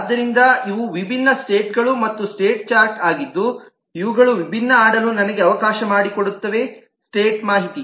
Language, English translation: Kannada, so these are the different states and state chart that allows me to play around with these different state information